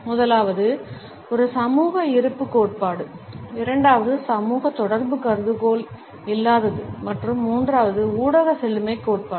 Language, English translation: Tamil, The first is a social presence theory, the second is lack of social contact hypothesis and the third is the media richness theory